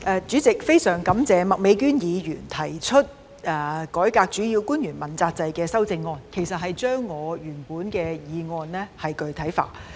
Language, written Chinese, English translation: Cantonese, 主席，非常感謝麥美娟議員就"改革主要官員問責制"議案提出修正案，其實該修正案是把我原本的議案具體化。, President I am very grateful to Ms Alice MAK for proposing an amendment to the motion on Reforming the accountability system for principal officials . In fact the amendment has added concrete substance to my original motion